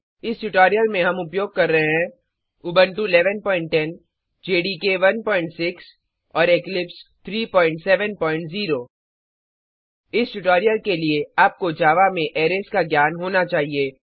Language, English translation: Hindi, For this tutorial we are using Ubuntu 11.10, JDK 1.6 and Eclipse 3.7.0 For this tutorial, you should have knowledge on arrays in Java